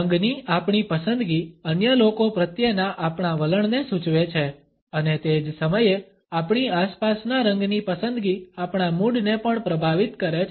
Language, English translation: Gujarati, Our choice of color suggests our attitudes to other people and at the same time the choice of color in our surroundings influences our moods also